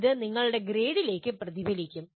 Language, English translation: Malayalam, It should get reflected finally into your grade